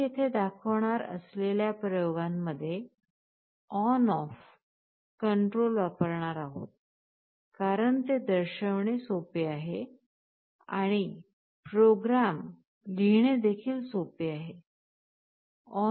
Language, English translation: Marathi, In the experiments that we shall be showing for simplicity, we shall be using on off kind of control, because it is easier to show and also easier to write the program